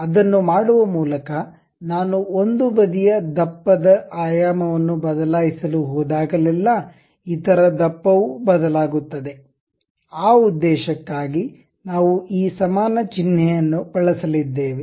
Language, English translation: Kannada, By doing that, whenever I am going to change dimension of one side of the thickness; the other thickness also changes, for that purpose we are going to use this equal symbol